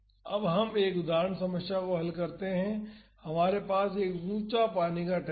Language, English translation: Hindi, Now, let us solve an example problem we have an elevated water tank